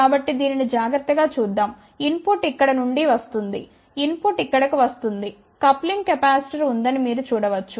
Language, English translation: Telugu, So, input is coming from here you can see that when input is coming over here there is a coupling capacitor